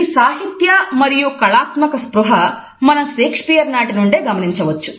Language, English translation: Telugu, The literary and artistic awareness can be traced as early as Shakespeare